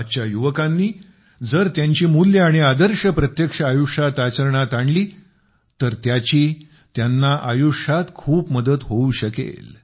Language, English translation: Marathi, If the youth of today inculcate values and ideals into their lives, it can be of great benefit to them